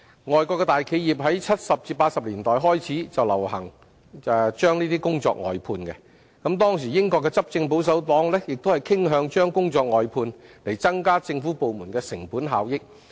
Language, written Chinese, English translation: Cantonese, 外國大企業於1970年代至1980年代開始流行把工作外判，當時英國的執政保守黨亦傾向將工作外判，以增加政府部門的成本效益。, The outsourcing practice has become a popular trend among large enterprises overseas since the 1970s and 1980s . At that time the ruling Conservative Party of the United Kingdom also tended to use outsourcing as a means to raise the cost - effectiveness of government departments